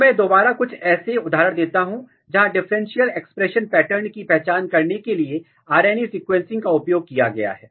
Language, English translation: Hindi, So, again I will give some of the examples, where RNA sequencing was used to identify differential expression pattern